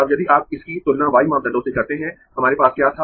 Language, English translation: Hindi, but if you dont try to calculated the y parameters, they turn out to be all infinite